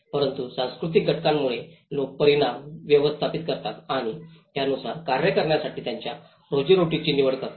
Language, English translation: Marathi, But it is with the cultural factors which people manage the results and make their livelihood choices to act upon